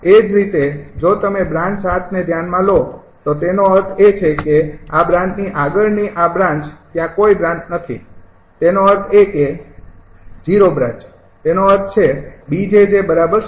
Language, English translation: Gujarati, similarly, if you consider branch seven, that with these branch, beyond this branch there is no branch, that means zero branch, that means bjj will be zero